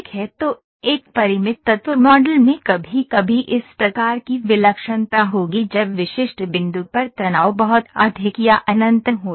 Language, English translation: Hindi, So, a finite element model will sometimes contain this kind of singularity when the stress is very high or infinite at specific point